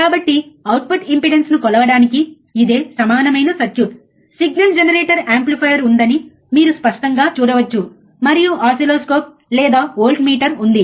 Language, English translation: Telugu, So, this is an equivalent circuit for measuring the output impedance, you can clearly see there is a signal generator is the amplifier, and there is a oscilloscope or voltmeter